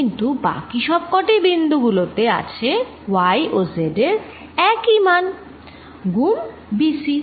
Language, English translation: Bengali, But, all other the points they have the same, all the points have same y and z b c